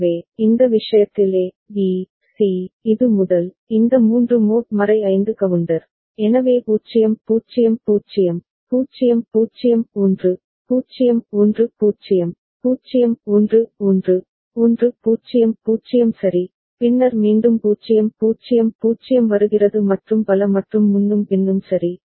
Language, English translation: Tamil, So, in this case the A, B, C, this the first one, this three are mod 5 counter, so 0 0 0, 0 0 1, 0 1 0, 0 1 1, 1 0 0 ok, then our again 0 0 0 is coming and so on and so forth right